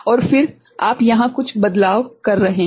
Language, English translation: Hindi, And then you are doing some manipulation over here